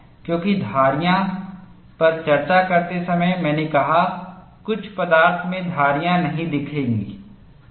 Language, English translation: Hindi, Because while discussing striations I said, in some materials striations are not seen